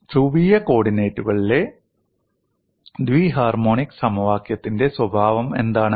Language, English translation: Malayalam, What is the nature of bi harmonic equation polar co ordinates